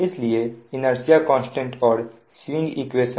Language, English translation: Hindi, so inertia constant and the swing equation